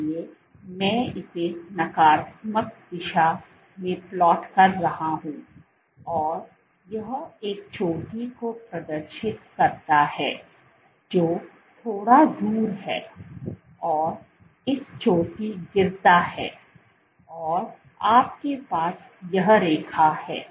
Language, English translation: Hindi, So, I am plotting it in negative direction exhibits a peak which is slightly off this peak then it drops and you have this line